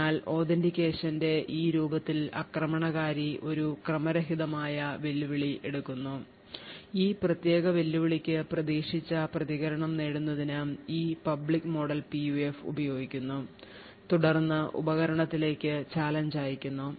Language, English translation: Malayalam, Therefore, in this form of authentication what is suggested is that the attacker picks out a random challenge, uses this public model for the PUF to obtain what an expected response for that particular challenge and then sends out the challenge to the device